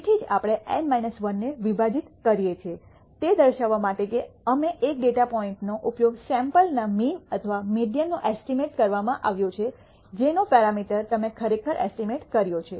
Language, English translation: Gujarati, So, that is why we divide by N minus 1 to indicate that one data point has been used up to estimate the sample mean or the median whatever the parameter that you are actually estimated